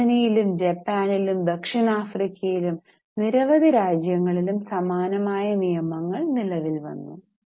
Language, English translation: Malayalam, Then in Germany, in Japan, South Africa, in several countries, similar laws have been introduced